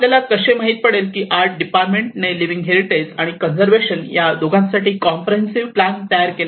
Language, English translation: Marathi, So how you know the arts department have developed a comprehensive plan for both the conservation and the living heritage